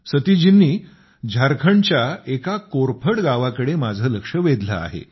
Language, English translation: Marathi, Satish ji has drawn my attention to an Aloe Vera Village in Jharkhand